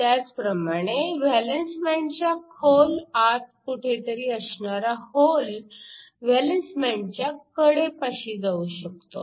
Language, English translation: Marathi, Similarly, you can have a hole in the bulk of the valence band which goes to the edge of the valence band